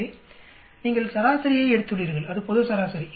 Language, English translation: Tamil, So you have taken an average, there is global average